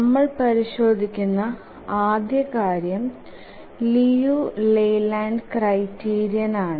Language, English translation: Malayalam, The first thing we check is the Liu Leyland criterion